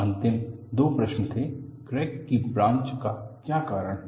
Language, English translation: Hindi, The last two questions were: what causes the crack to branch